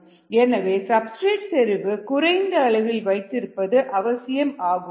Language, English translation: Tamil, so the substrate needs to be maintain at a certain low concentration